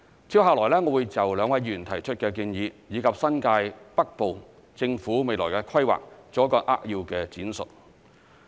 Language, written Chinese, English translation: Cantonese, 接下來，我會就兩位議員提出的建議，以及新界北部政府未來的規劃，作一個扼要的闡述。, Next in response to the proposals of the two Members I will explain in gist the Governments future planning of the northern New Territories